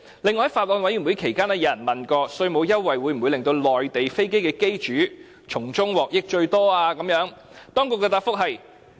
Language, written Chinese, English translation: Cantonese, 此外，在法案委員會期間，有人問稅務優惠會否令到內地飛機的機主從中獲得最大的得益？, Aside from the above a question was raised in the Bills Committee inquiring if owners of Mainland aircraft will gain the largest benefits from the tax concession